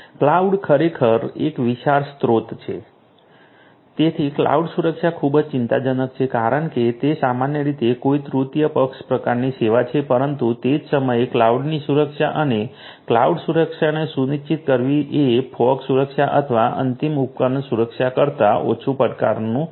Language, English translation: Gujarati, Cloud actually is the you know huge resource so cloud security is of huge concern because it’s typically a third party kind of service cloud, but at the same time you know cloud security and ensuring cloud security is of a lesser challenge than the form security or the n device security